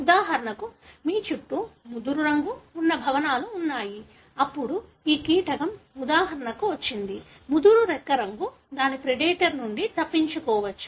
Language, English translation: Telugu, For example, you have buildings that are around which are having darker, colour, then this insect which has got for example, dark wing color might escape from its predator